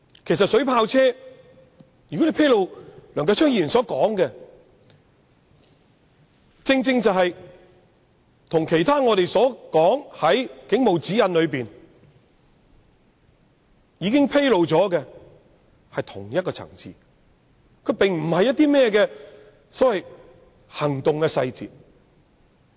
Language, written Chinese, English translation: Cantonese, 梁繼昌議員要求披露的水炮車資料，正正與警察守則現已披露的事項屬於同一層次，並非所謂的"行動細節"。, The information on water cannon vehicles as requested by Mr Kenneth LEUNG is exactly on the same level as the matters already disclosed in the guidelines of the Police Force